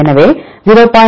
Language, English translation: Tamil, So, will get 0